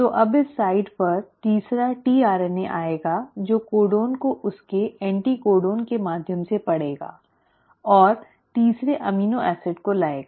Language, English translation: Hindi, So now at this site the third tRNA will come which will read the codon through its anticodon and will bring the third amino acid